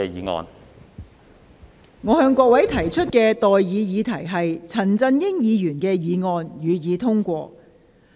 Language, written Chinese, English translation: Cantonese, 我現在向各位提出的待議議題是：陳振英議員動議的議案，予以通過。, I now propose the question to you and that is That the motion moved by Mr CHAN Chun - ying be passed